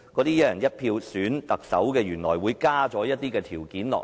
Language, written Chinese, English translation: Cantonese, "一人一票"選特首，加入了先篩選的條件。, In respect of selecting the Chief Executive by one person one vote the condition of prior screening has been added